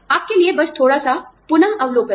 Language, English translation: Hindi, Just a little revision for you